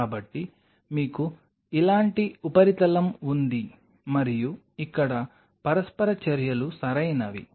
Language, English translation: Telugu, So, you have the surface like this and here are the interactions right